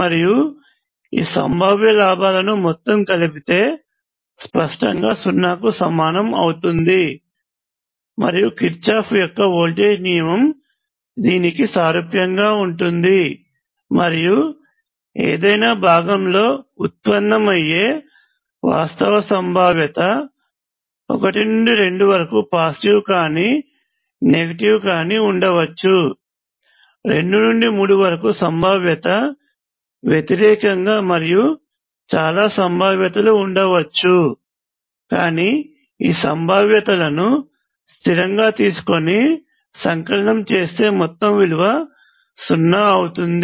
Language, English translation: Telugu, And Kirchhoff’s voltage law is directly analogous to this, and the actual potential arise in any part could be either positive or negative from 1 to 2, it is a one sign; from 2 to 3, it is a opposite sign and so on, but the sum of all of those things taken in a consistent way is 0